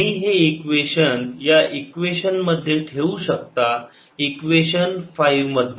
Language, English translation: Marathi, you can put this equation, this equation, equation five